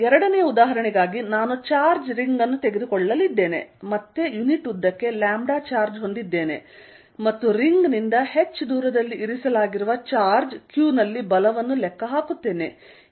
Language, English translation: Kannada, I am going to take a ring of charge, again having lambda charge per unit length and calculate force on a charge q kept at a distance h from the ring